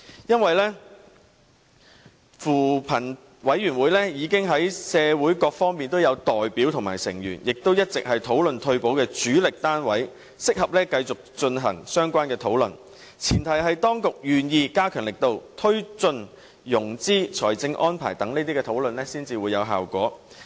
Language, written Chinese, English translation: Cantonese, 因為扶貧委員會內已有社會各方面的代表和成員，亦一直是討論退休保障的主力單位，所以適合繼續進行相關的討論，但前提是當局願意加強力度，推進融資、財政安排等討論，才會有效果。, Since members of CoP already include representatives and members from various sectors in society and CoP has been the leading organization in retirement protection discussion it is suitable for CoP to continue with the relevant discussion . Yet such discussion will only be fruitful on the premise that the authorities are willing to step up their efforts in promoting financing options and making financial arrangements for retirement protection